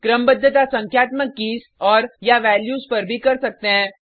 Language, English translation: Hindi, Sorting can also be done on numeric keys and/or values